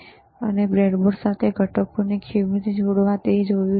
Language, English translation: Gujarati, Then we have seen the how to connect the components to the breadboard